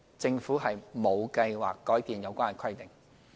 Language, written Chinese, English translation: Cantonese, 政府沒有計劃改變有關規定。, The Government has no plans to change this rule